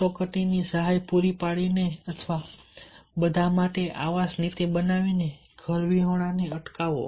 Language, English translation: Gujarati, prevent the homelessness by providing the emergency assistance or making a housing policy for all